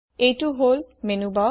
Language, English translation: Assamese, This is the Menubar